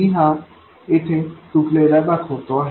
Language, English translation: Marathi, Let me show this broken here